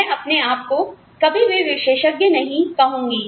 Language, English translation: Hindi, I will not call myself, an expert, ever